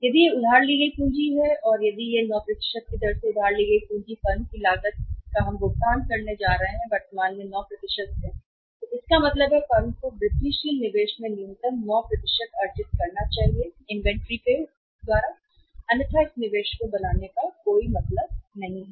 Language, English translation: Hindi, If it is a borrowed capital and if it is borrowed at 9% the cost of the capital we are going to pay the cost of the capital firm is going to pay is in 9% it means the firm should earn minimum 9% from the incremental investment in inventory otherwise there is no point making this investment one